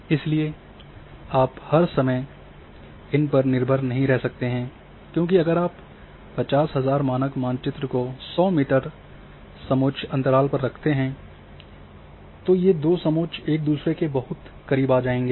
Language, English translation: Hindi, So, you cannot rely all the time on the because, if you put a say in 50,000 scale map even 100 meter contour interval these two contours are coming very close to each other